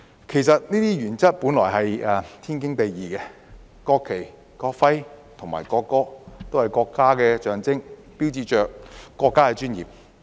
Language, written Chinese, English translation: Cantonese, 其實這些原則本來是天經地義的，國旗、國徽和國歌均是國家的象徵，標誌着國家的尊嚴。, In fact these principles are well justified as the national flag national emblem and national anthem are all national symbols signifying the dignity of the country